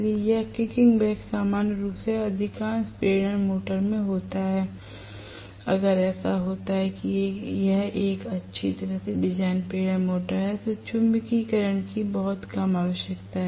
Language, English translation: Hindi, So, this kicking back would normally happen in most of the induction motors, if it so happens that it is a well design induction motor with very minimal requirement of magnetizing current right